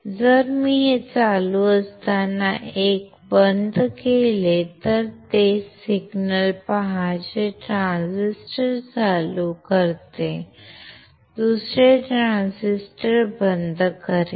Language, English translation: Marathi, If I apply 1 this is off while this is on, see the same signal which turns on 1 transistor, will turn off the another transistor